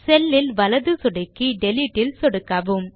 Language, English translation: Tamil, Right click on the cell and then click on the Delete option